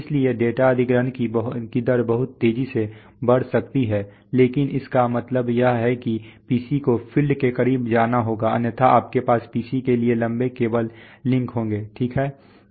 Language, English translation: Hindi, So the data acquisition rates can go much faster but because it, but this means that the PC has to go close to the field otherwise you are going to have long cable links to the PC, right